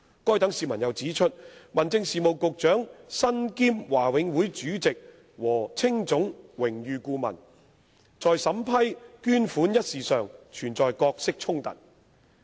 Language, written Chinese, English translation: Cantonese, 該等市民又指出，民政事務局局長身兼華永會主席和青總榮譽顧問，在審批捐款一事上存在角色衝突。, Those members of the public have also pointed out that there is a conflict of roles for the Secretary for Home Affairs in the matter of vetting and approving the said donation as he is both the Chairman of the Board and an Honorary Adviser to HKACA